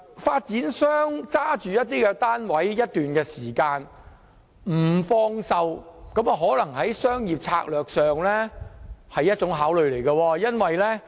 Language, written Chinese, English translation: Cantonese, 發展商持有物業一段時間而不放售，可能是出於商業策略的考慮。, Out of commercial and strategic considerations property developers may hold properties for a period of time before selling them